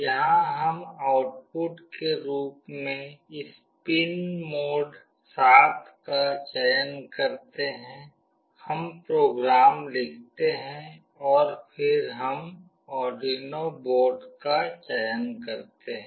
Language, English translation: Hindi, Here we select this pin mode 7 as output, we write the program, and then we select the Arduino board